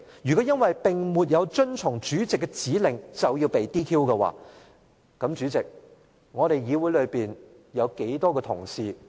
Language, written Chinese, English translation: Cantonese, 如果因為沒有遵從主席的指令便要被 "DQ"， 那麼主席，立法會有多少議員同事要被 "DQ"？, If a Member who fails to comply with the order of the President should be disqualified how many Members in the Legislative Council should be disqualified President?